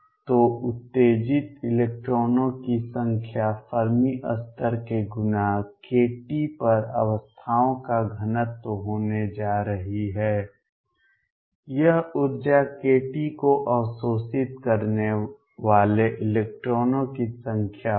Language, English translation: Hindi, So, number of electrons exited is going to be density of states at the Fermi level times k t, this is going to be number of electrons absorbing energy k t